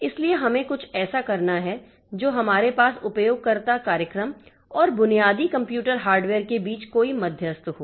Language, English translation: Hindi, We don't have to, we don't have to have any intermediary between the user program and the basic computer hardware